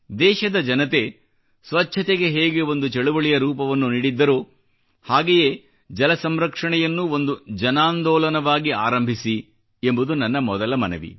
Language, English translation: Kannada, My first request is that just like cleanliness drive has been given the shape of a mass movement by the countrymen, let's also start a mass movement for water conservation